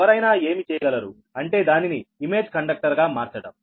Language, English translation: Telugu, right now, what, what one can do is that we will make it a image conductor